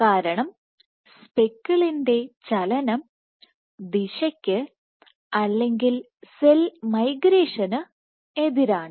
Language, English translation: Malayalam, because the speckle movement direction is opposite to the direction of motion or cell migration